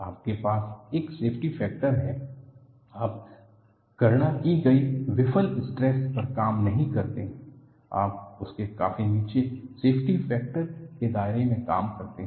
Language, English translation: Hindi, You have a factor of safety; you do not operate at the calculated the failure stress; you operate much below that by bringing in a factor of safety